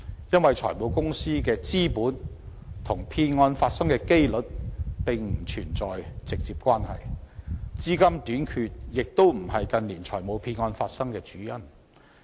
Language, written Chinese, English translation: Cantonese, 因為，財務公司的資本與騙案發生的機率並不存在直接關係，資金短缺亦非近年財務騙案發生的主因。, It is because the amount of capital held by finance companies is not in any direct way related to the probability of the occurrence of fraud cases . Neither is capital shortage a major factor leading to the occurrence of financial frauds in recent years